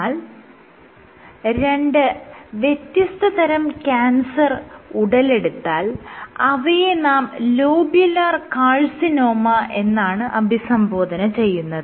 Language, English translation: Malayalam, You might have two different types of cancer which are called as either lobular carcinoma